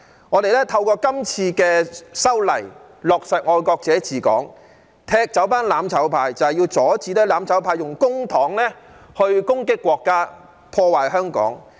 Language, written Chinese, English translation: Cantonese, 我們透過今次的修例，落實"愛國者治港"，踢走"攬炒派"，就是要阻止"攬炒派"用公帑攻擊國家、破壞香港。, Through this legislative amendment exercise we can implement patriots administering Hong Kong and kick out the mutual destruction camp in order to stop the mutual destruction camp from attacking the State and damaging Hong Kong with public money